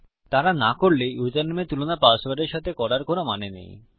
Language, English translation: Bengali, If they havent, there is no point in comparing the username to the password